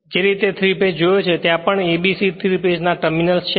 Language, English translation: Gujarati, The way you have seen 3 phase; A B C there also 3 phase terminals same thing